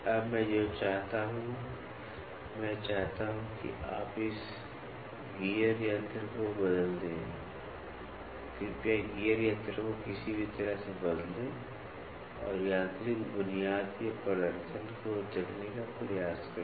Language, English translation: Hindi, Now, what I want is, I want you to replace this gear machine, please replace the gear machine by any means and try to see the performance of the mechanical setup